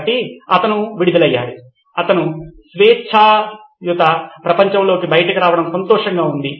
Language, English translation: Telugu, So he was released, he was happy to come be out in the free world